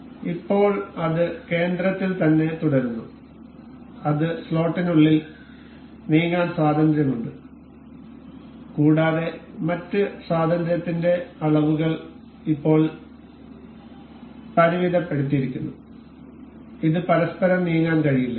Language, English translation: Malayalam, So, now, it remains in the center and it is free to move within the slot and it the other degrees of freedom have now been constrained and it this cannot move to each other